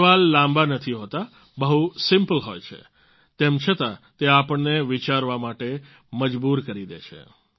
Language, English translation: Gujarati, These questions are not very long ; they are very simple, yet they make us think